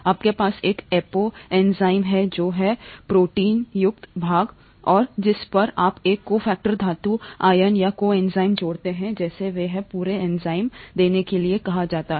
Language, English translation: Hindi, You have an apo enzyme which is the proteinaceous part and to which you add a cofactor, metal ions or coenzymes as they are called to give the whole enzyme, okay